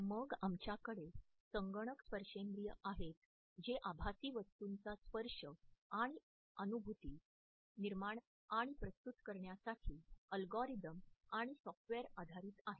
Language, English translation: Marathi, Then we have computer haptics which is based on algorithms and software’s associated with generating and rendering the touch and feel of virtual objects